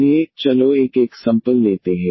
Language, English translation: Hindi, Now, we take this example of this kind